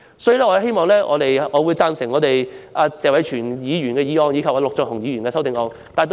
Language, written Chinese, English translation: Cantonese, 所以，我支持謝偉銓議員的原議案和陸頌雄議員的修正案。, Hence I support Mr Tony TSEs original motion and Mr LUK Chung - hung amendment